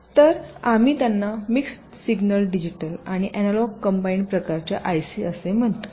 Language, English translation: Marathi, so we call them mix signal, digit digital, an analog combined kind of i c